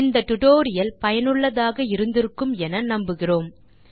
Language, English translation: Tamil, So we hope you have enjoyed this tutorial and found it useful